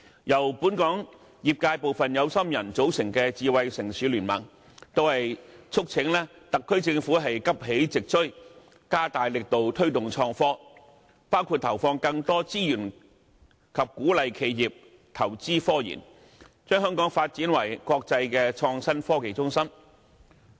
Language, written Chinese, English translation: Cantonese, 由本港業界部分有心人組成的香港智慧城市聯盟，促請特區政府急起直追，加大力度推動創新科技，包括投放更多資源及鼓勵企業投資科研，將香港發展為國際創新科技中心。, The Smart City Consortium of Hong Kong formed by some enthusiastic members of the local industries urge the SAR Government to catch up and step up its efforts to promote innovation and technology including allocating more resources and encouraging enterprises to invest in RD turning Hong Kong into an international innovation and technology hub